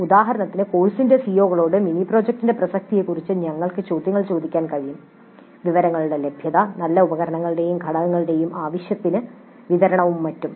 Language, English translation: Malayalam, For example, we can ask questions about relevance of the mini project to the CIOs of the course, availability of resources, good equipment and adequate supply of components and so on